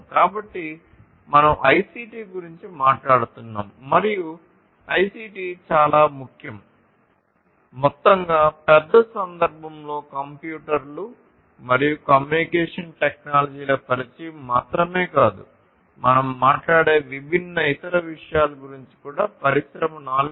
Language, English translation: Telugu, So, overall ICT is very important and we are talking about ICT as a whole in the greater context in the bigger context not just the introduction of computers and communication technologies, but also different other things that we talk about in the industry 4